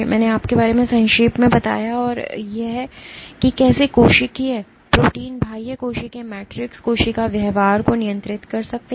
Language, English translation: Hindi, I have briefly given your gist of how extracellular proteins, extracellular metrics can regulate cell behavior